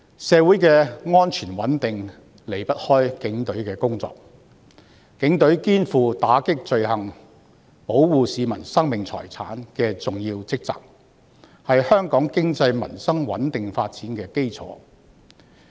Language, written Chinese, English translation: Cantonese, 社會的安全穩定離不開警隊的工作，警隊肩負打擊罪行及保護市民生命財產的重要職責，是香港經濟、民生穩定發展的基礎。, The safety and stability of a community are closely related to the work of the Police Force which plays a significant role in combating crime and protecting the lives and property of the people . This forms the basis of the stable development of Hong Kongs economy and peoples livelihood